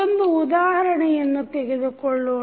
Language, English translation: Kannada, Let us, take one example